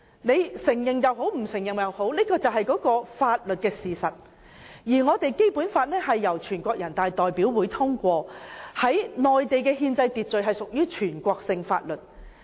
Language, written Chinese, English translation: Cantonese, 不管大家承認與否，這是法律事實，而《基本法》是由人大常委會通過，在內地的憲制秩序下屬全國性法律。, No matter whether Members accept it or not it is a legal fact and the Basic Law passed by NPCSC is a national law within the constitutional order of the Mainland